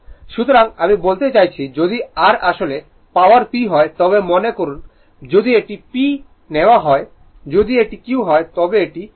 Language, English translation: Bengali, So, this is I mean if your if your real power is P suppose if it is P we have taken if it is Q then this one will be P square plus Q square right